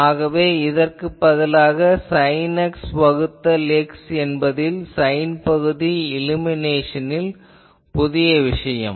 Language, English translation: Tamil, So, you see only here instead of a sin X by X that means, sine function this is the new thing due to the illumination